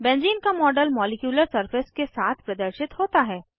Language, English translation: Hindi, The model of Benzene is displayed with a molecular surface